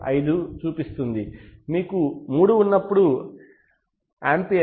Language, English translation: Telugu, 5, when you have 3 ampere it shows 3